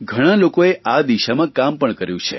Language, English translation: Gujarati, A lot of people have worked in this direction